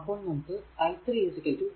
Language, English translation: Malayalam, If you do so you will get your i 3 is equal to i 1 plus 0